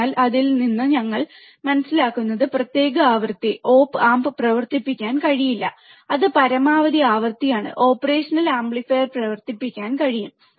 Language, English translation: Malayalam, So, from that what we also understand that a particular frequency, the op amp cannot be operated, that is a maximum frequency at which the operational amplifier can be operated